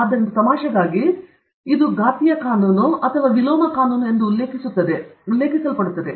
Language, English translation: Kannada, So, jocularly, often refer to it as the exponential law or the inverse law